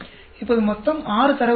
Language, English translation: Tamil, Now, total is six data points